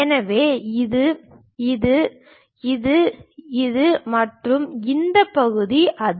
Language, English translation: Tamil, So, this one is this, this one is this and this part is that